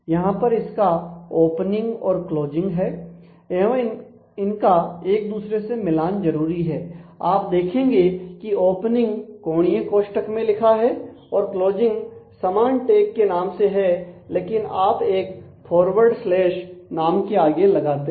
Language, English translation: Hindi, So, it has a opening and a closing and these have to have to actually match and you can see that the opening is written within corner brackets and the closing is write the same tag name, but you put a forward slash before the name